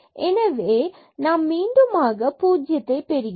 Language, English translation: Tamil, So, we will get this again as 0